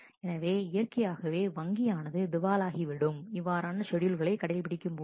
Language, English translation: Tamil, So, naturally the bank is going to get bankrupt very soon if such scheduled are allowed